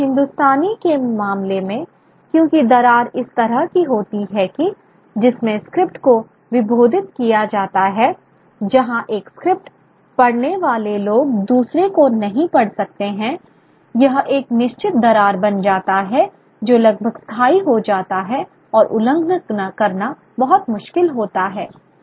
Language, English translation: Hindi, But in the case of Hindustani, because the cleavage occurs in a way in which the script is differentiated, where people who can read one script, cannot read other that becomes a certain cleavage that becomes almost permanent and very very difficult to to breach You know, the United States